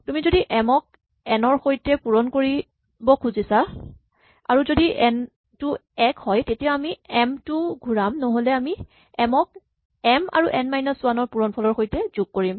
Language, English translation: Assamese, You can say if you want to multiply m by n, if n is 1, we return m otherwise we add m to the result of multiplying m by n minus 1